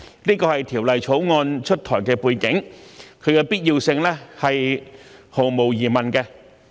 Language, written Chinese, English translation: Cantonese, 這是《條例草案》出台的背景，其必要性是毫無疑問的。, Against such background the introduction of the Bill is undoubtedly necessary